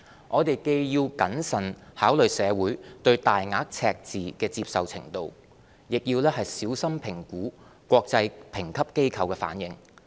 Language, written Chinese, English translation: Cantonese, 我們既要謹慎考慮社會對大額赤字的接受程度，亦要小心評估國際評級機構的反應。, We should carefully consider public acceptance of a large deficit and assess the reaction of international rating agencies